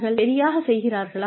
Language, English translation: Tamil, Are they doing it right